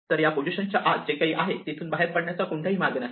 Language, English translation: Marathi, So, anything which is inside this these positions there is no way to go from here out